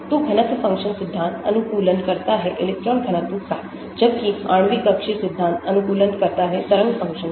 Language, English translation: Hindi, so density function theory optimizes the electron density, while molecular orbital theory optimizes the wave function